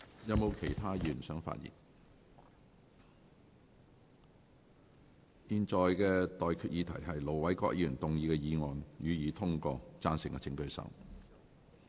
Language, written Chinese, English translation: Cantonese, 現在的待議議題是：盧偉國議員動議的議案，予以通過。, I now propose the question to you That the motion moved by Ir Dr LO Wai - kwok be passed